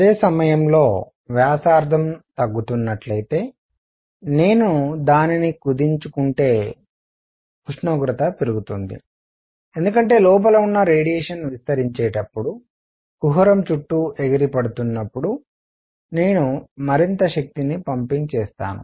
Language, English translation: Telugu, At the same time, if I were to compress it if the radius was going down the temperature would go up because I will be pumping in energy something more happens as the radiation inside bounces around the cavity as it expands